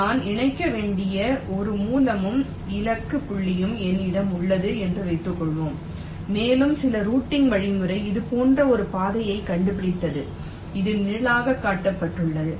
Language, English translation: Tamil, laid you, as suppose i have a source and a target point which i have to connect and, let say, some routing algorithm has found out a path like this which is shown shaded